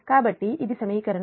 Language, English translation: Telugu, this is equation